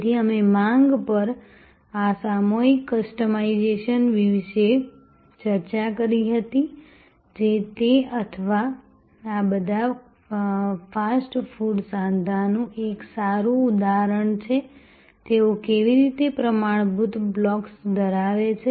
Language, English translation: Gujarati, So, we had discussed about this mass customization on demand, which is a good example of that or all these fast food joints, how they have standard blocks